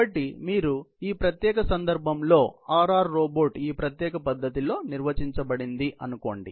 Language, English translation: Telugu, So, in this particular case, let us say you have a RR robot, defined in this particular manner